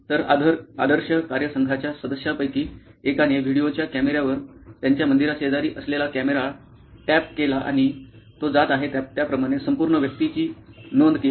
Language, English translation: Marathi, So, what one of the person from the ideo team did was strap on a video camera a camera right next to their temple here and recorded the whole thing as if this person is going through